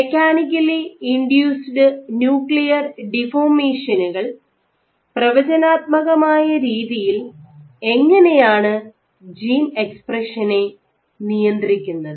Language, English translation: Malayalam, And can mechanically induced nuclear deformations control gene expression in a control level in a predictable manner